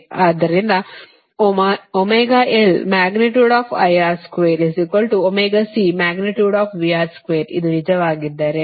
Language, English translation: Kannada, if this is true, right